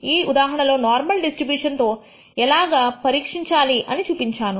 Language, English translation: Telugu, In this case, I have shown you how to test it against the normal distribution